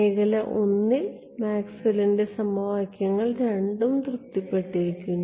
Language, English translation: Malayalam, In region I Maxwell’s equations is satisfied by both